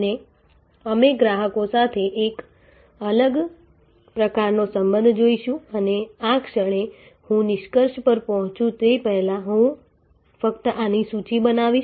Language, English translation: Gujarati, And so now, we will look a different types of relationship with customers and at this moment before I conclude I will only list these